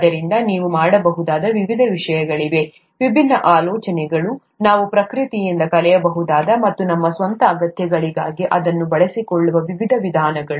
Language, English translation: Kannada, So there are various different things that you can, various different ideas, various different ways of doing things that we can learn from nature and use it for our own needs